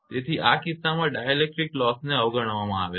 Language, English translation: Gujarati, So, in this case that dielectric loss is neglected